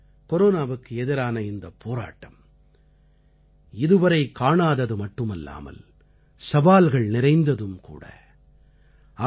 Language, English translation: Tamil, Friends, this battle against corona is unprecedented as well as challenging